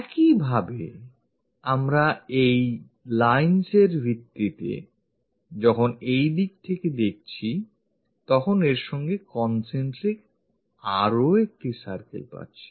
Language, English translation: Bengali, Similarly, we are looking in this direction, so based on these lines, we will get one more circle, concentric with that